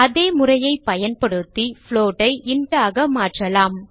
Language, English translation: Tamil, Now let us convert float to an int, using the same method